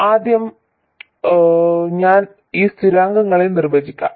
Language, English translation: Malayalam, Now first let me define these constants